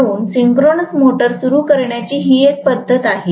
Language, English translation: Marathi, So this is one of the methods of starting the synchronous motor